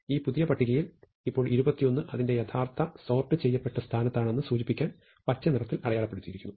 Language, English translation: Malayalam, In this new list, now 21 is marked in green to indicate that it is in its final position